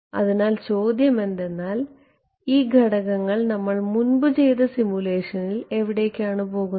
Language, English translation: Malayalam, So, the question is about where do these parameters go in the simulation before